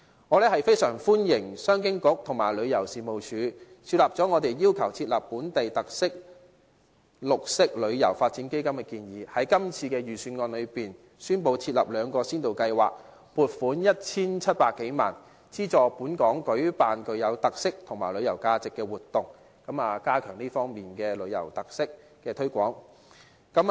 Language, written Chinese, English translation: Cantonese, 我非常歡迎商務及經濟發展局和旅遊事務署考慮了我們要求設立"本地特色旅遊發展基金"的建議，在今次的預算案中，宣布設立兩項先導計劃，撥款 1,700 多萬元，資助本港舉辦具有特色及旅遊價值的活動，加強這方面的旅遊特色的推廣。, I am very glad that the Commerce and Economic Development Bureau and the Tourism Commission have considered our suggestion of setting up a fund for the development of tourism with local features . In this Budget two pilot schemes are announced and a funding of over 17 million is earmarked for subsidizing activities with local features and tourism value to be held in Hong Kong so that the promotion of tourism with local features can be enhanced